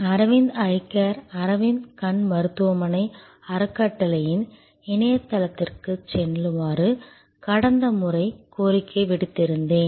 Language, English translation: Tamil, I had requested you last time to go to the website of Aravind Eye Care, Aravind Eye Hospital, the foundation